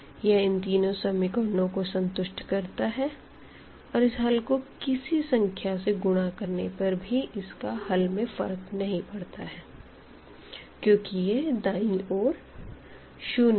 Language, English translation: Hindi, So, it will satisfy all these three equations this part and any number also we can multiply it to this, it will not affect because the right hand side is0